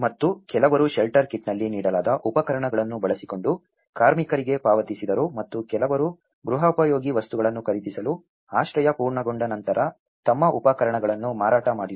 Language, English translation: Kannada, And some paid for the labour in kind using the tools they were given in the shelter kit and some sold their tools once shelters were complete to buy household furnishings